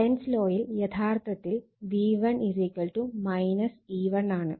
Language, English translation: Malayalam, So, Lenz’s law, Lenz law it is actually V1 = minus E1 right